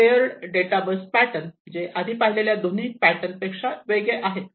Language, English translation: Marathi, So, this is the layered data bus layered data bus pattern, which is different from the previous two patterns that we have just discussed